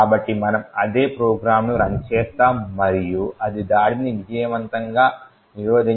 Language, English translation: Telugu, So, we would run the same program and we see that it has successfully prevented the attack